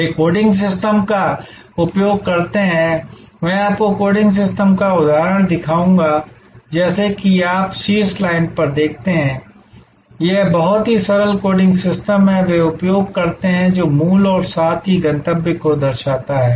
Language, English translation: Hindi, They use coding systems, I will show you the example of coding system as you see on the top line, this is the very simple coding system, they use which shows the origin as well as the destination